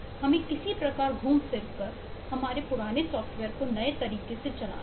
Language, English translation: Hindi, well have to somehow tweak around and make the old software work in the new way